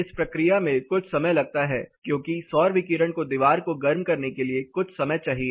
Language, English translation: Hindi, This process takes a while that is the solar radiation needs some time to heat up the wall